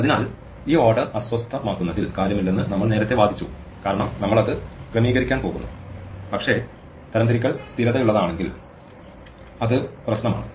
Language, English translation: Malayalam, So, we argued earlier that disturbing this order does not matter because any way we are going to sort it, but it does matter if the sorting has to be stable